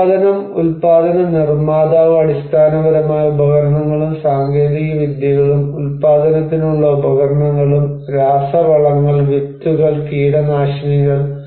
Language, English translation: Malayalam, And the production producer goods like basically tools and technologies like tools and equipments for production, fertilizers, seeds, pesticides